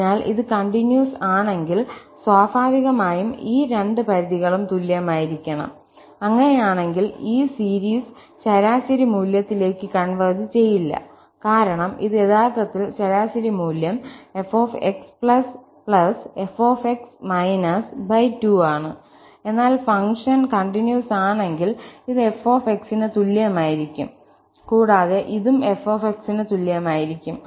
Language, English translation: Malayalam, So, if it is continuous, naturally, these two limits should be equal and in that case, this series will converge not to the average value, because this was actually the average value f plus f divided by 2, but if the function is continuous, so this will be also equal to f and this will be also equal to f